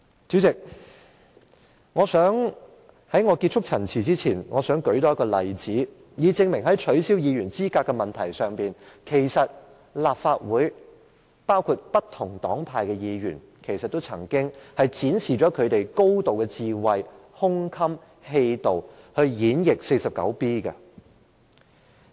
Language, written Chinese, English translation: Cantonese, 主席，在結束陳辭前，我想多舉一個例子，以證明在取消議員資格的問題上，其實立法會包括不同黨派的議員，均曾展示他們高度的智慧、胸襟、氣度，以演譯第 49B 條。, President as I come to the close of my speech I would like to cite an example to prove that Members of the Legislative Council from different political parties and groupings have exhibited profound wisdom sufficient breadth of mind and impressive forbearance in interpreting Rule 49B in addressing the issue of disqualifying a Member